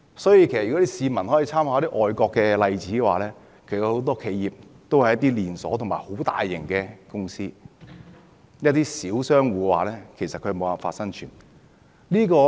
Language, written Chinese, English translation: Cantonese, 所以，如果市民參考外國一些例子的話，便會發現他們很多企業都是連鎖式或規模龐大的公司，至於那些小商戶，其實他們無法生存。, So if people have a look at some examples overseas they will notice that many of the enterprises are either chain store operators or very large companies . Small businesses are simply unable to survive